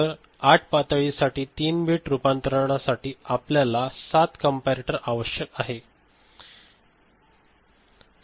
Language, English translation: Marathi, So, for 8 levels, 3 bit conversion, we shall require 7 comparators is it fine right